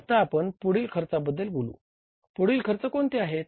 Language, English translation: Marathi, Then we talk about the next expense is what